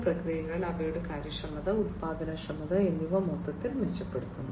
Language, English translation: Malayalam, And overall improving the industrial processes, their efficiency, productivity, and so on